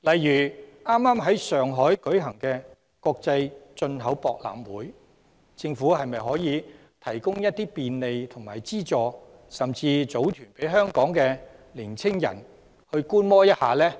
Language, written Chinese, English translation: Cantonese, 以剛剛在上海開幕的中國國際進口博覽會為例，政府可否提供便利和資助，甚至組團讓香港的年青人到場觀摩呢？, Taking the China International Import Expo which has just been inaugurated in Shanghai as an example can the Government provide facilitation and assistance and even organize deputations of Hong Kong young people to go there to gain an experience?